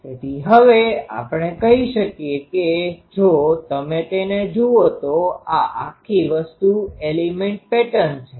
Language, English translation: Gujarati, So, now we can say that if you look at it this whole thing is a element pattern